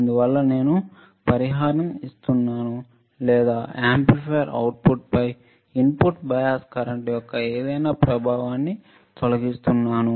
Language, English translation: Telugu, Thus I am compensating or I am removing any effect of input bias current on the output of the amplifier right